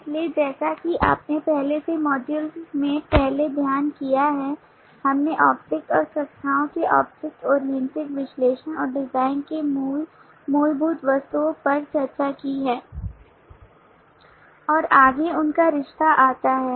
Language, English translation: Hindi, so as you have studied earlier in the earlier modules we have discussed the core fundamental items of object oriented analysis and design of the object and classes